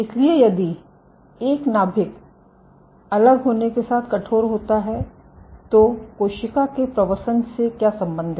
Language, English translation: Hindi, So, if a nucleus stiffens as it differentiates, what is the link on cell migration